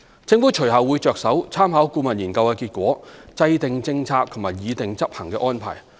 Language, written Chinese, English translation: Cantonese, 政府隨後會着手參考顧問研究的結果，制訂政策及擬訂執行安排。, The Government will then proceed to the formulation of relevant policies and operational arrangements with reference to the results of the consultancy studies